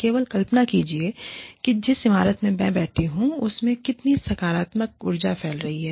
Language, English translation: Hindi, Just imagine, how much of positive energy, circulating in the building, that I am sitting in